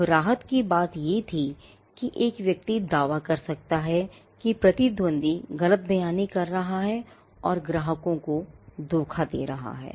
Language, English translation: Hindi, Now, the relief that a person would claim was saying that, the competitor was misrepresenting and was deceiving the customers